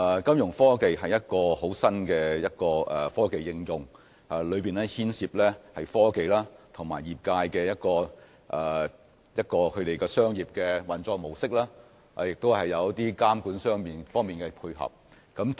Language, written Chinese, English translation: Cantonese, 金融科技是一項新穎的科技應用，當中牽涉科技與業界的商業運作模式，以及在監管方面的配合。, Fintech is a novel technology the application of which involves technologies and commercial operations of the industry as well as corresponding regulatory efforts